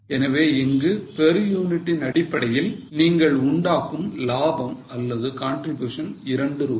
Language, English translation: Tamil, So, per unit basis, you make a profit of or contribution of $2